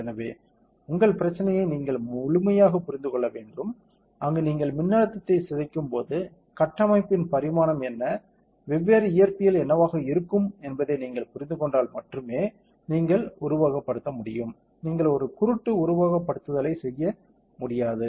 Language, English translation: Tamil, So, you should understand your problem very thoroughly what are the conditions, where you will injured voltage, what will be the dimension of the structure, what will be the different physics that will be involved once you understand everything then only you can simulate, you cannot do a blind simulation ok